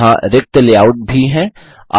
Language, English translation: Hindi, There are also blank layouts